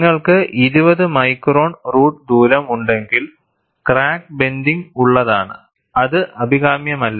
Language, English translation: Malayalam, If we have 20 micron root radius, the crack is blunt, which is not desirable